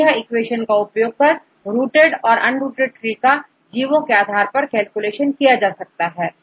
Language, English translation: Hindi, So, this is the equation used to calculate the number of rooted and unrooted trees depending upon the organism